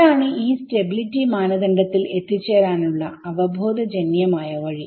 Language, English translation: Malayalam, So, this is the intuitive way of arriving at this stability criteria